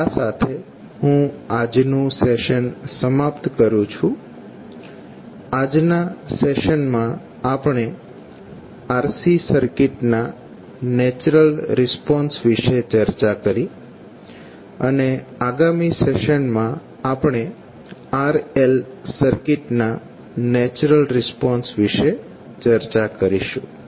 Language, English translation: Gujarati, So with this we close our today’s session, in this session we discuss about the natural response of RC circuit and in next session we will discuss about the natural response of RL circuit